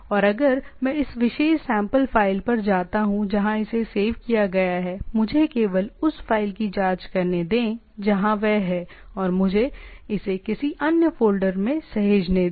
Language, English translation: Hindi, And if I go to this particular sample file where it is saved, let me just check the file where it is OK let me save in a another folder